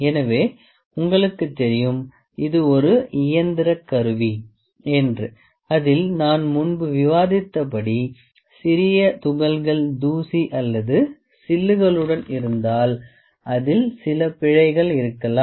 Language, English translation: Tamil, So, you know this is a mechanical instrument in which as I discussed before that with small tiny particles of dust or chips we can have certain errors in it